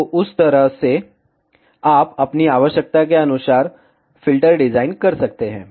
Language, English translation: Hindi, So, in that way, you can design the filter as per your requirement